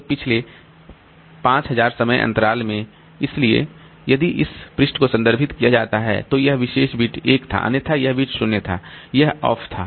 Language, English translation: Hindi, So, in the previous 5,000 time interval, so if this page was referred to, then this particular bit was on, otherwise this bit was 0